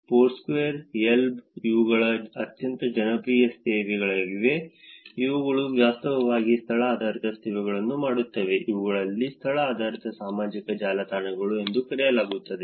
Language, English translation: Kannada, Foursquare, Yelp, these are very, very popular services which actually do location based services, these are called location based social networks